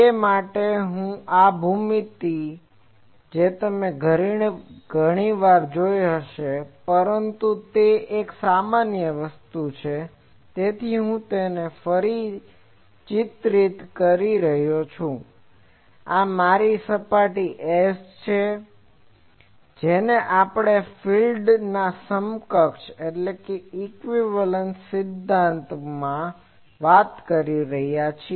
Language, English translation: Gujarati, So, for that these geometry you have seen many times; but since it is a generalized thing, I am redrawing it that this is my surface S which we are talking in the field equivalence principle